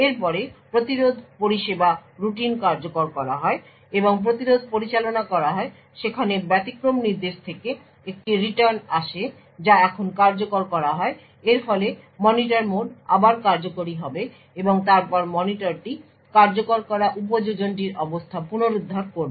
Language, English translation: Bengali, After that interrupt service routine is executed and the interrupt gets handled there is a return from exception instruction that gets executed now this would result in the Monitor mode getting executed again and then the monitor would restore the state of the application that is executing